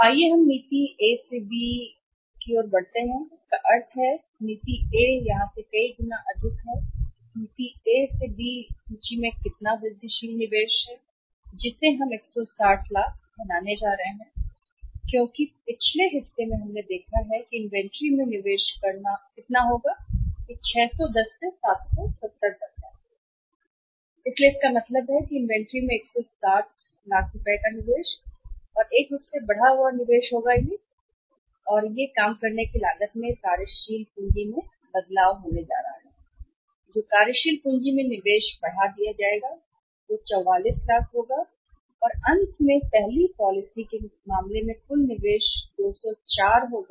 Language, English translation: Hindi, So, let us move from the policy A to B, A to B, so it means policy A to be here many more from the policy A to B how much incremental investment in inventory we are going to make a 160 lakhs because in the previous part we have seen the investment in inventory will be how much that is from 610 to 770 so it means 160 will be the increased investment in the inventory and as a result of that how much is going to be the change in the working capital in the cost of working capital that will be increased investment in the working capital will be 44 lakhs and finally the total investment will be 204 not 169 as in case of the first policy